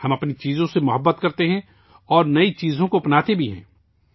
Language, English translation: Urdu, We love our things and also imbibe new things